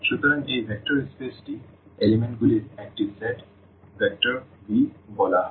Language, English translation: Bengali, So, this vector space is a set V of elements and called vectors